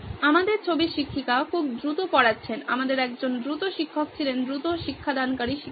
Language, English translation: Bengali, The teacher in our picture is teaching very fast, we had a fast teacher fast teaching teacher